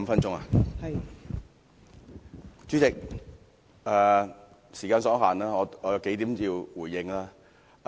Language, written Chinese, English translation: Cantonese, 代理主席，時間所限，我有幾點要回應。, Deputy President my time is limited and yet I must respond to a few points